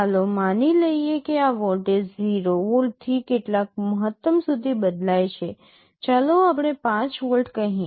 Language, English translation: Gujarati, Let us assume this voltage is varying from 0 volt up to some maximum let us say 5 volts